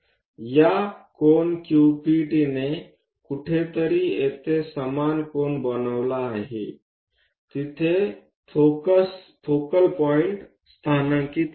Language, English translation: Marathi, This Q P T supposed to make an equal angle at somewhere here to locate focal point